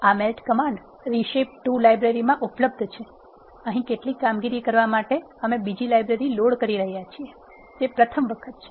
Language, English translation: Gujarati, This melt command is available in the reshape 2 library, here is the first time we are loading another library to perform some operations